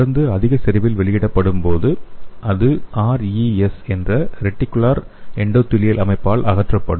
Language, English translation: Tamil, When the drug is released in more concentration, it will be removed by the reticular endothelial system that is RES